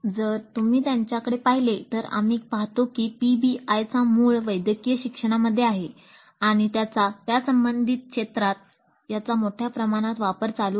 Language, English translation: Marathi, So if you look at them we see that PBI has its origin in medical education and it continues to be used quite extensively in that and related fields